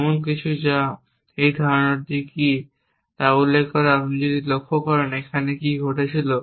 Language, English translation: Bengali, ) about something which and mention on the way which is this notion of so if you have observe what was happening here